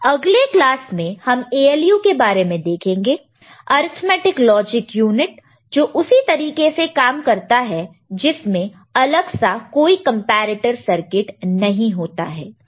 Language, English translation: Hindi, We shall see in the next class the ALU basically, arithmetic logic unit does it in that manner only; we do not have separate comparator circuit within it